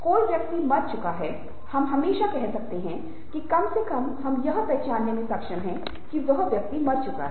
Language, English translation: Hindi, we can always say that at least we are able to identify that this person is dead